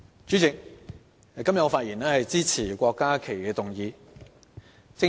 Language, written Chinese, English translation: Cantonese, 主席，我今天發言支持郭家麒議員的議案。, President I rise to speak in support of the motion moved by Dr KWOK Ka - ki today